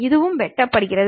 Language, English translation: Tamil, This is also cut